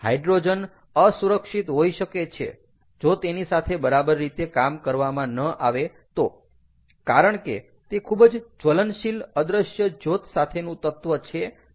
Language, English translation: Gujarati, the hydrogen could be unsafe if handle improperly, because its a highly inflammable with invisible flames, which is what we are talking about